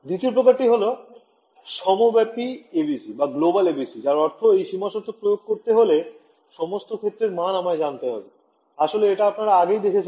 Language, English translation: Bengali, The second is a global ABC which means that to implement this boundary condition, I need to know the value of all the fields on the boundary actually you have already seen this